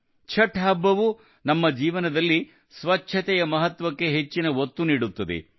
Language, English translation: Kannada, The festival of Chhath also emphasizes on the importance of cleanliness in our lives